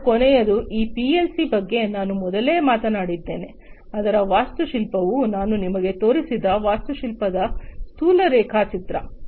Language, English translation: Kannada, And the last one is this PLC that I talked about before, the architecture of which the rough sketch of the architecture of which I have shown you